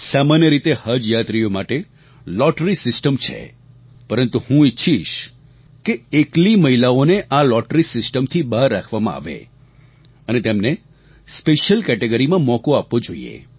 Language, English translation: Gujarati, Usually there is a lottery system for selection of Haj pilgrims but I would like that single women pilgrims should be excluded from this lottery system and they should be given a chance as a special category